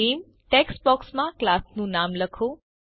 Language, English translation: Gujarati, In the Name text box, type the name of the class